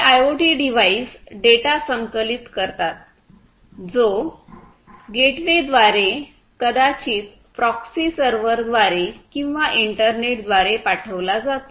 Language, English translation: Marathi, So, this data will be sent through the gateway, through maybe a proxy server, through the internet